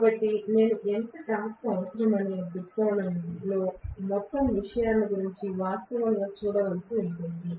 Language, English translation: Telugu, So, I might have to actually look at the whole thing in the viewpoint of how much torque I will require